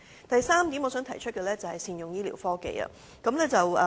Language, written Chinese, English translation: Cantonese, 我想提出的第三點是善用醫療科技。, The third point I wish to raise is the better use of health care technology